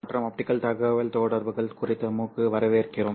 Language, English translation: Tamil, Hello and welcome to the MOOC on optical communications